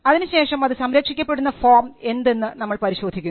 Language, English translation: Malayalam, Then we look at the form by which it is protected